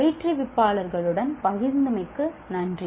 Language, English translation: Tamil, Thank you for sharing with the instructor